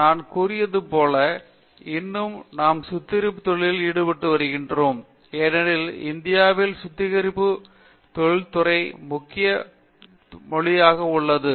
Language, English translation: Tamil, As I told you, we are today refining industry because refining industry is the major industry in India